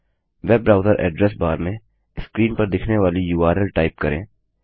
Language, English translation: Hindi, In a web browser address bar, type the URL shown on the screen